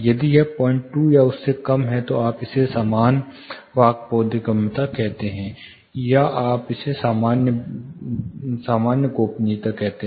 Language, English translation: Hindi, 2 or lesser you call it normal speech intelligibility, or you have normal privacy